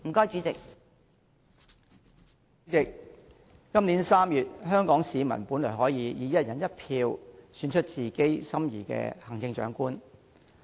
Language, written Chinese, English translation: Cantonese, 主席，今年3月香港市民本來可以經由"一人一票"，選出自己心儀的行政長官。, President Hong Kong people should have had the chance to elect the Chief Executive of their choice by one person one vote in March this year